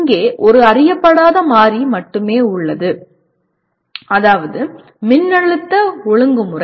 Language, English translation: Tamil, Here there is only one unknown variable namely voltage regulation